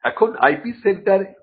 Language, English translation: Bengali, Now, what is an IP centre